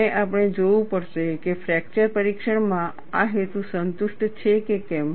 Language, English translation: Gujarati, And we will have to see, whether this purpose is satisfied in fracture testing